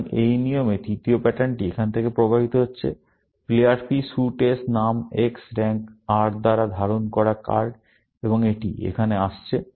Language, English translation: Bengali, So, in this rule, the third pattern is flowing from here; card held by player P suit S name X rank R, and its coming here